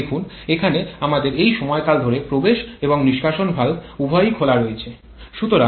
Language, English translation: Bengali, Look at this, here we have a span this one over which both inlet and exhaust valves are open